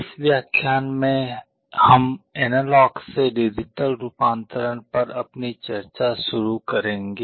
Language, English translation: Hindi, In this lecture, we shall be starting our discussion on Analog to Digital Conversion